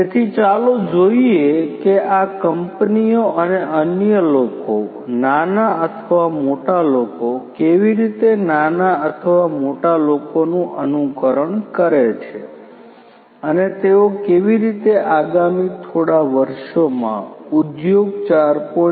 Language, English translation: Gujarati, So, let us see how these companies and others similar ones small or big ones how they transform themselves in the next few years towards industry 4